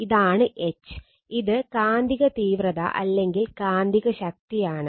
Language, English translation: Malayalam, This is H right, this is a H right, H is the magnetic intensity or magnetizing force right